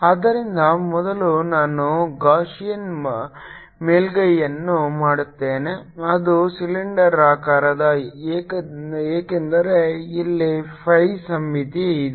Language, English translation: Kannada, so first i will make a gaussian surface which is cylindrical because here is the phi symmetry